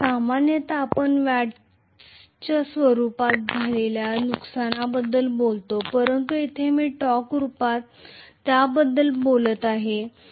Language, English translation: Marathi, Normally we talk about the losses in the form of watts but here I am talking about it in the form of torque